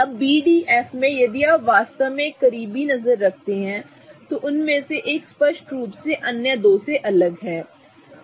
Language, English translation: Hindi, Now in BD and F if you really have a close look, one of them is clearly different from the other two